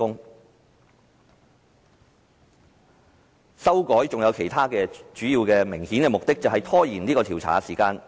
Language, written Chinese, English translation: Cantonese, 作出修改還有其他主要而明顯的目的，便是拖延調查時間。, Another major and obvious objective in making the amendments is to delay the inquiry